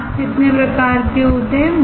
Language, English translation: Hindi, How many types of masks are there